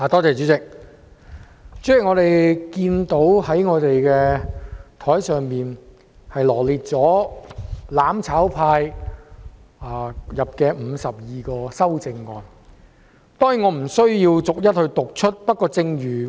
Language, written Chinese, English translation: Cantonese, 主席，我們桌上的文件，羅列"攬炒派"提出的52項修正案，我當然不會逐一讀出。, Chairman the document on our table has set out the 52 amendments proposed by the mutual destruction camp . I will certainly not read them out one by one